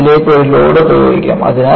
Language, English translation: Malayalam, And, you have a load apply to this